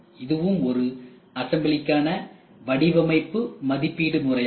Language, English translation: Tamil, And this is also an evaluation method for design for assembly